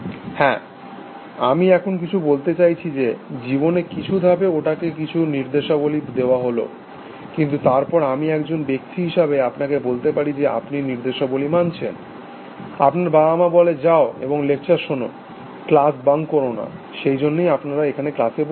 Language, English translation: Bengali, Yes some that is what I say, that some stages it is life, some instructions were given to it, but then I can say the same thing about you as a person, that you are following instructions, your parents said go and attend lectures, do not bunk classes, that is why you are sitting here in this class